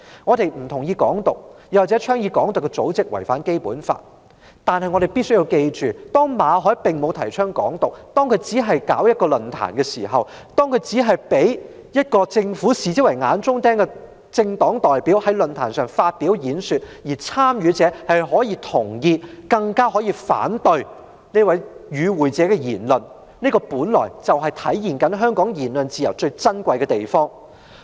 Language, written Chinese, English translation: Cantonese, 我們不同意"港獨"，也認為倡議"港獨"的組織違反《基本法》，但必須緊記的是，馬凱並沒有提倡"港獨"，他只是舉辦了論壇，他只是容許被政府視為眼中釘的政黨代表在論壇上發表演說，參與者可以同意或反對這位政黨代表的言論，這體現了香港言論自由最珍貴之處。, We do not endorse Hong Kong independence and we also consider that organizations advocating Hong Kong independence violate the Basic Law . However it must be borne in mind that Victor MALLET has not advocated Hong Kong independence; he just held a forum and allowed a party representative a thorn in the side of the Government to give a speech at the forum while the participants could agree or disagree with the remarks made by this party representative . This reflected the most precious aspects of freedom of speech in Hong Kong